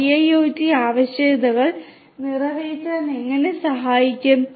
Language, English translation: Malayalam, 0 IIoT requirements that are there in the industries